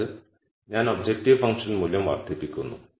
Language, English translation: Malayalam, That is I am increasing the objective function value